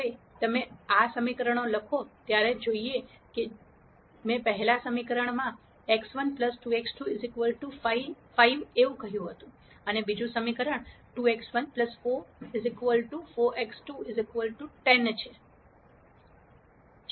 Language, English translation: Gujarati, Now let us look at the equations when you write these equations, as I said before the first equation x 1 plus 2 x 2 equals 5, and the second equation is 2 x 1 plus 4 equal 4 x 2 equals 10